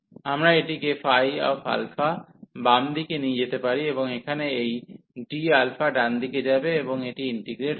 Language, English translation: Bengali, So, we can take this phi alpha to the left hand side, and here the d alpha will go to the right hand side and integrating this